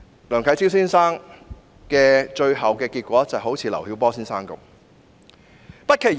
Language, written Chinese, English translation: Cantonese, 梁啟超先生最終的遭遇可能就像劉曉波先生一樣。, Mr LIANG Qichao might end up suffering the same fate as Mr LIU Xiaobo